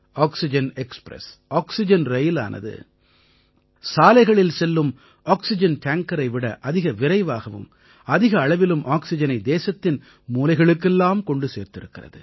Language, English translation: Tamil, Oxygen Express, oxygen rail has transported larger quantities of oxygen to all corners of the country, faster than oxygen tankers travelling by road